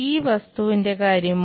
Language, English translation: Malayalam, How about this object